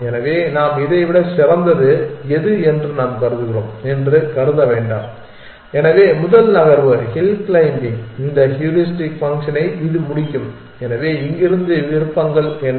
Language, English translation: Tamil, So, we do not consider that where we consider this one which is better than, so the first move hill climbing will make this heuristic function is this one it will complete, so from here what are the options